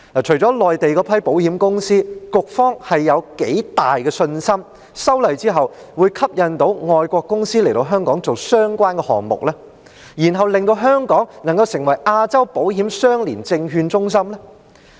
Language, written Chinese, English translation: Cantonese, 除了內地那批保險公司，局方有多大信心，在修例後外國的保險公司會被吸引到港進行相關的業務，令香港成為亞洲保險相連證券中心？, How confident is the Bureau that apart from those Mainland insurers overseas insurers will also be attracted to do the business concerned in Hong Kong after the passage of the legislative amendments thus turning Hong Kong into an ILS hub in Asia?